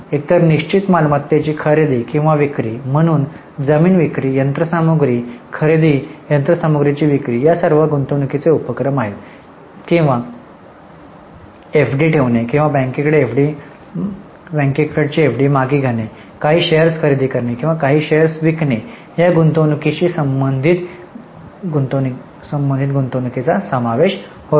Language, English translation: Marathi, So, purchase of land, sale of land, purchase of machinery, sale of machinery, these are all investing activities or related to investments like keeping FD or withdrawing FD with bank, purchasing some shares or selling some shares, all this is included as investing activities